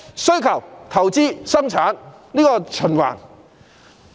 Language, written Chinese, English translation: Cantonese, 需求、投資和生產這一循環。, The cycle involving demand investment and production